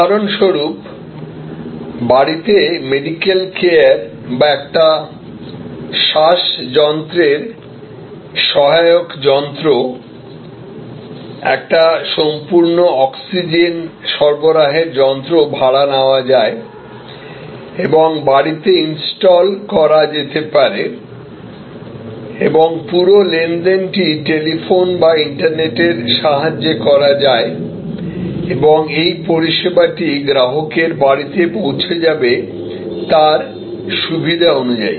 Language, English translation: Bengali, Like for example, at home medical care or a respiratory assistance plant, a full oxygen supply plant can be taken on rent and installed at home and the whole transaction can be done are for renting over telephone or over the internet and the service will be available to the consumer at his or her home at his or her convenience